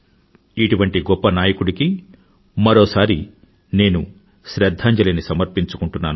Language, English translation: Telugu, Once again I pay my homage to a great leader like him